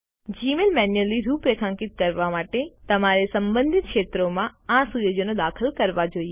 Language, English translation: Gujarati, To configure Gmail manually, you must enter these settings in the respective fields